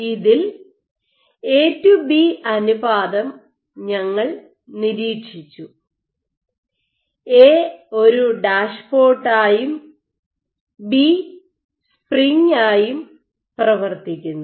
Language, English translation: Malayalam, So, in this what we observed also A to B ratio, once again a operates as A dashpot B operates as the spring and lamin A